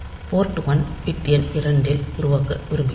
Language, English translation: Tamil, So, we want to generate on port ones bit number 2